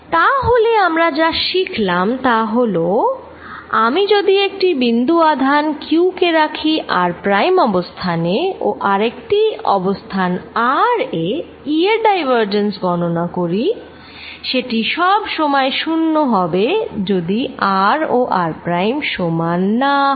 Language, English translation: Bengali, so what we have learned is: if i take a point charge q at position r prime and calculate divergence of e at some point r, this is zero for r not equal to r, right